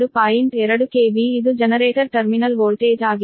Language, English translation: Kannada, k v, this is also generator terminal voltage